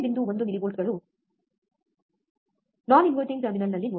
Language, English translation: Kannada, 1 millivolts, let us see at non inverting terminal